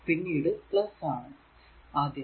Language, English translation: Malayalam, How will come later